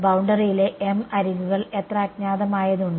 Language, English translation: Malayalam, m edges on the boundary how many unknowns are there